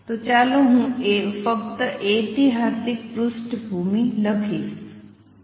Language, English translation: Gujarati, So, let me just write this historical background